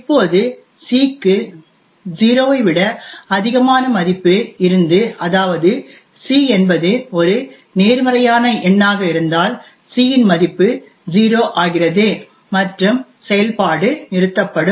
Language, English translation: Tamil, Now if c has a value greater than 0 that is if c is a positive number then the value of c becomes 0 and the function would terminate